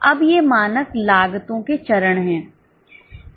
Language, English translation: Hindi, Now these are the steps in standard costing